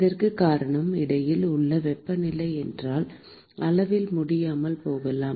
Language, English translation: Tamil, And that is simply because I may not be able to measure the temperatures in between